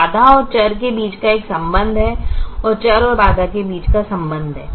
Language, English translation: Hindi, so there is a relationship between constraint and variable and a relationship between variable and constraint